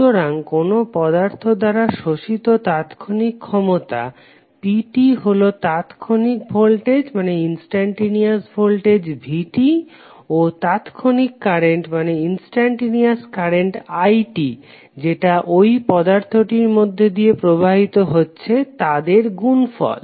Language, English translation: Bengali, So instantaneous power P absorbed by any element is the product of instantaneous voltage V and the instantaneous current I, which is flowing through it